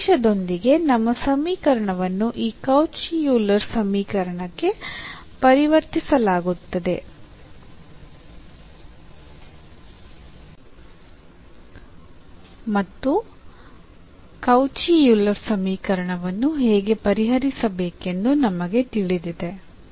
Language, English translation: Kannada, Now, here we will be talking about the idea that there are some equations which can be reduced to this Cauchy Euler form and then we know how to solve the Cauchy Euler form